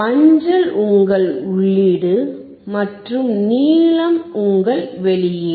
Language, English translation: Tamil, Yellow one is your input and blue one is your output